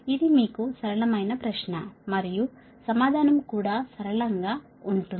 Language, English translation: Telugu, this is a simple question to you and answer also will be simple